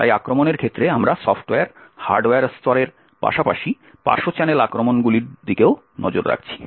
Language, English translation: Bengali, both attacks as well as defences, so with respect to the attacks we have been looking at attacks at the software, hardware level as well as side channel attacks